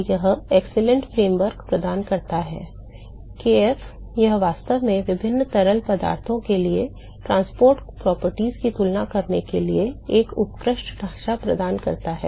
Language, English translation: Hindi, So, this provides an excellent framework oh kf; this provides an excellent framework for actually comparing the transport properties for different fluids